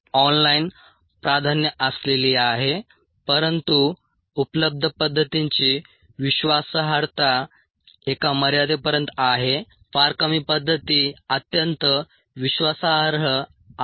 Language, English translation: Marathi, online, a preferred, but ah, the reliability of the methods available are, to a certain extent, very few methods are highly reliable